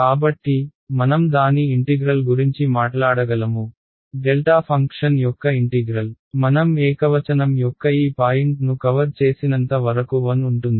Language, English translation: Telugu, So, but I can talk about it’s integral, the integral of delta function as long as I cover this point of singularity is 1 right